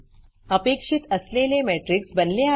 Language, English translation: Marathi, This is expected in the way a matrix is defined